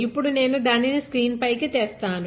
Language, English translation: Telugu, Now, we will be looking at the screen